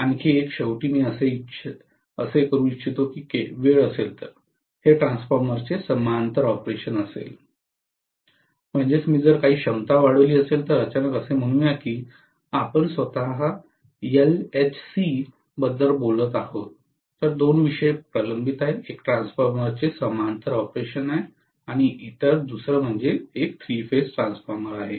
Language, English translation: Marathi, One more finally I would like to do if time permits is parallel operation of transformer, that is if I have some capacity increased suddenly let us say we are talking about LHC itself, so two topics are pending, one is parallel operation of transformer, the other one is three phase transformer